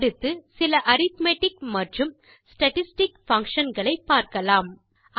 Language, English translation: Tamil, Next, lets learn a few arithmetic and statistic functions